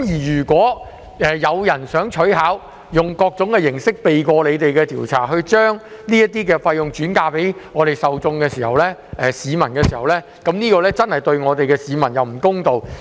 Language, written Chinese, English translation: Cantonese, 如果有公司想取巧，用各種形式避過調查，將這些費用轉嫁給受眾，這樣對市民真的不公道。, If a trustee plays tricks to circumvent investigation by various means and passes on the fees to scheme members the public will be unfairly treated